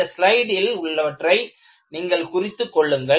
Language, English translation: Tamil, And, I would like you to take down the notes of these slides